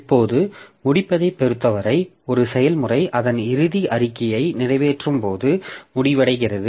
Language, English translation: Tamil, Now, as far as termination is concerned, a process terminates when it finishes executing its final statement